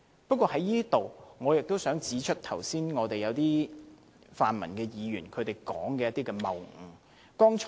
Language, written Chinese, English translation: Cantonese, 不過，我亦想在此指出剛才一些泛民議員發言中的謬誤。, I also wish to point out a number of fallacies made in the speeches delivered by some pro - democracy Members earlier